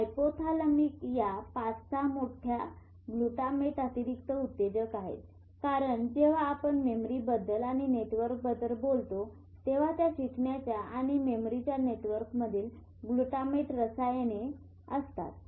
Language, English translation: Marathi, In addition to this 5 6 big glutamate is excitatory because when we will talk of memory and when we talk of network the chemical switch in those network of learning and memory is glutamate